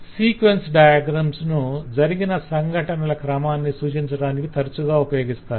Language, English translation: Telugu, other, the sequence diagram is most frequently used, which will tell you what is the order of events that happened